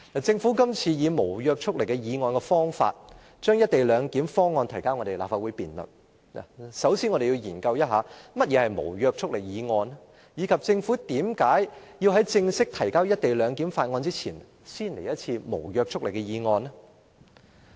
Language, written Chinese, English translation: Cantonese, 政府這次以無約束力議案的方法，將"一地兩檢"方案提交立法會辯論，首先，我們要研究一下何謂無約束力議案，以及政府為何在正式提交"一地兩檢"的相關法案前，先來一次無約束力的議案呢？, This time around the Government attempts to start discussion on the co - location arrangement in the Legislative Council through the moving of a motion with no legislative effect . First of all we must think about what a motion with no legislative effect is . And we must also realize why the Government wants to put forward a motion with no legislative effect before formally submitting a bill on the co - location arrangement